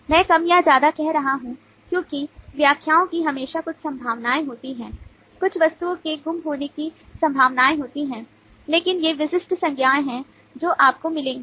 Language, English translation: Hindi, i am saying more or less because there is always some possibilities of interpretations, some possibilities of missing out items, but these are the typical nouns you will get and you can see that